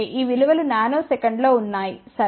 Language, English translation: Telugu, These values are in nanosecond, ok